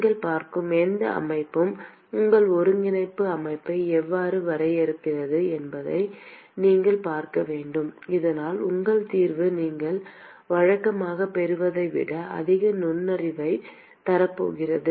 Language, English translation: Tamil, Any system that you are looking at, you will also have to see how to define your coordinate system, so that your solution is going to give you much more insight than what you would normally get